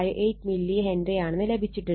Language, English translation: Malayalam, 58 milli Henry right